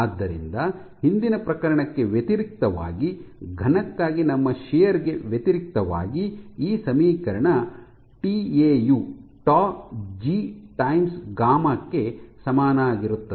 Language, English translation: Kannada, So, in contrast to the earlier case, in contrast to our shear so, for the solid, we had this equation tau is equal to G times gamma